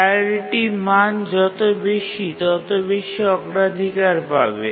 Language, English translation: Bengali, So the higher the priority value, the higher is the priority